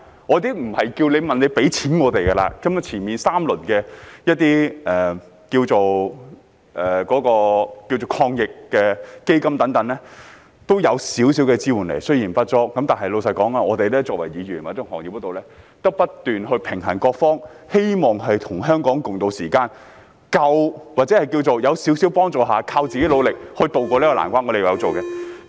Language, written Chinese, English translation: Cantonese, 我並非要求政府給予金錢資助，根本首3輪的防疫抗疫基金也給予了少許支援，雖然不足，但老實說，我們作為議員，或在行業裏，要不斷平衡各方，希望與香港共渡時艱，或是在少許幫助下，依靠自己努力渡過這難關，我們有在這方面努力。, I am not asking the Government to offer financial assistance for a little support though inadequate has been given under the first three rounds of the Anti - epidemic Fund . Frankly speaking we as Members or practitioners of the industry have to juggle the interests of different parties . We hope to tide over this difficult time together with Hong Kong people or to rely on ourselves to overcome the difficulties with a little help